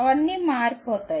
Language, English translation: Telugu, All of them change